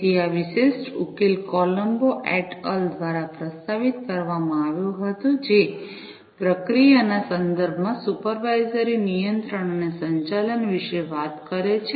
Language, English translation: Gujarati, So, this particular solution was proposed by Colombo et al, talks about supervisory control and management in the context of processing